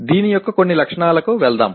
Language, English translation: Telugu, Let us move on to some features of this